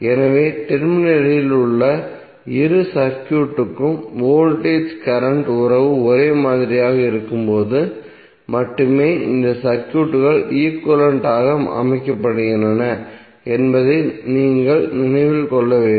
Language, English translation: Tamil, So you have to keep in mind that these circuits are set to be equivalent only when you have voltage current relationship same for both of the circuit at the terminal